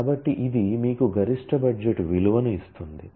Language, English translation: Telugu, So, this gives you the value of the maximum budget